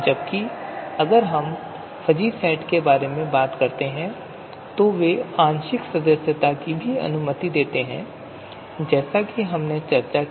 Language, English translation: Hindi, Whereas, if we talk about fuzzy set they also allow partial membership as we have discussed till now